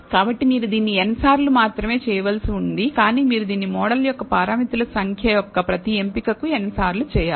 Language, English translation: Telugu, So, you have not only have to do this n times, but you have to do this n times for every choice of the number of parameters of the model